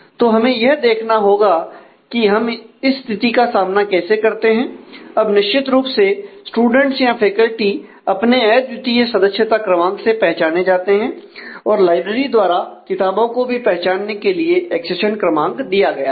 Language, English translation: Hindi, So, we will have to see how to handle these kind of situation now certainly the students or faculty are identified by the unique member number of the library that has been given books as we have said are identified by the accession number